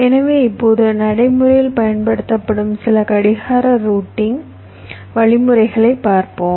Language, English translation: Tamil, ok, so now let us look at some of the clock routing algorithms which are used in practice